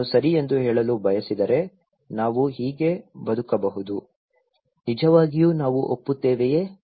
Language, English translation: Kannada, If I want to say okay, we can live like this, really we agree